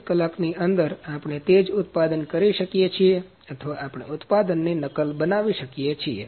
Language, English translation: Gujarati, In within 24 hours, we can produce the same product or we can copy the product